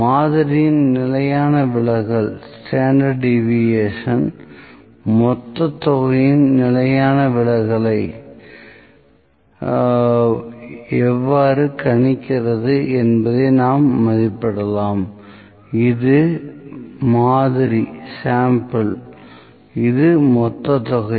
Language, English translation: Tamil, We can estimate how well the standard deviation of the sample predicts the standard deviation of population, this is for sample; this is for population